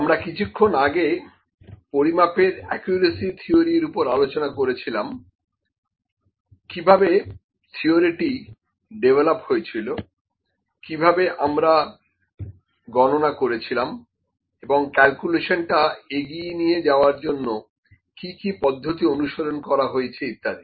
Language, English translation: Bengali, Recently and theory of measurement accuracy, how the theory is developed, how do we do the calculations; so, what are the various ways that the propagation of the calculations goes